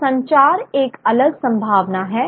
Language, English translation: Hindi, So, communication is a distinct possibility